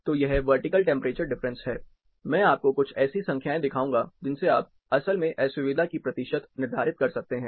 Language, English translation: Hindi, So, a vertical temperature difference, I am going to show you a few you know numbers, where you can actually determine; what is the percentage of discomfort as well